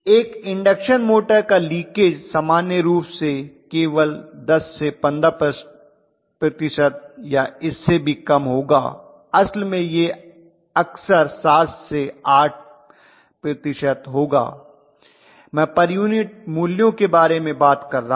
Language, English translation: Hindi, The leakage of an induction motor normally will be only 10 to 15 percent or even less in fact it will be 7 to 8 percent very often, percent I am talking about per unit values